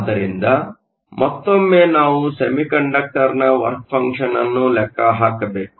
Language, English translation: Kannada, So, once again we need to calculate the work function of the semiconductor